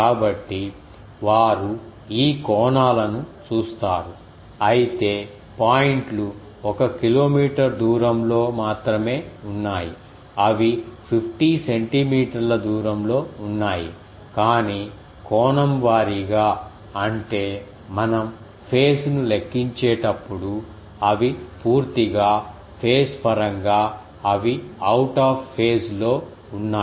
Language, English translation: Telugu, So, that will be see the these angles they though the points are very near only over a distance of one kilometer, they are only 50 centimeter away, but the angle wise; that means, when we are calculating phase they are completely out of phase